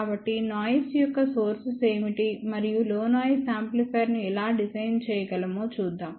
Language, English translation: Telugu, So, let us see what are the sources of the noise and then how we can design a low noise amplifier